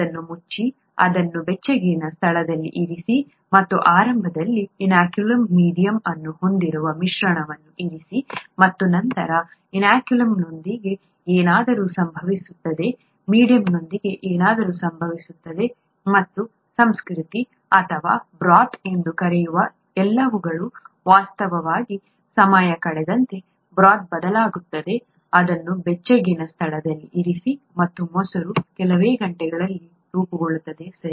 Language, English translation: Kannada, Close it, set it aside in a warm place, and the mixture that has this inoculum medium initially, and then something happens with the inoculum, something happens with the medium and all that is called the culture or the broth, in fact the, the broth changes as time goes on when it is set aside in a warm place and curd is formed in a few hours, okay